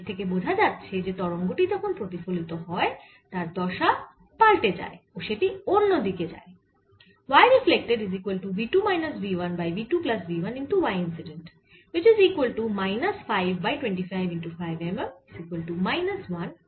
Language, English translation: Bengali, so what it tells you is that when the wave is getting reflected, its phase changes is going to point the other way